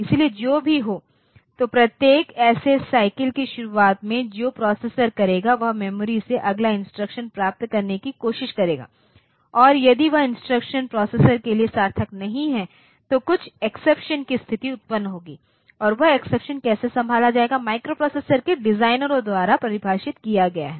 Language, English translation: Hindi, So, whatever, so at the beginning of a every such cycle what the processor will do it will try to get the next instruction from the memory and if that instruction is not meaningful to the processor then some exception situation will occur and how that exception will be handled, that is defined by the designers of the microprocessors